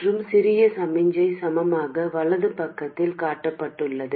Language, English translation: Tamil, And the small signal equivalent is shown on the right side